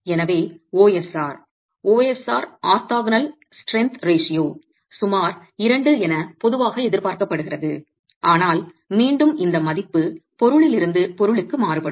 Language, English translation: Tamil, So, an OSR, the orthogonal strength ratio of about two is typically expected but again this value will change from material to material